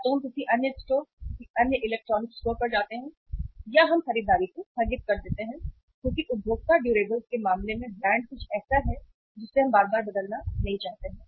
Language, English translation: Hindi, Either we visit the another store, another electronic store or we postpone the purchase because brand in case of the consumer durables is something which we do not want to change so frequently